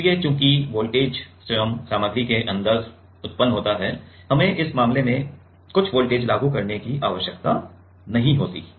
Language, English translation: Hindi, So, as the voltages itself generated inside the material, we does not need to apply some voltage in this case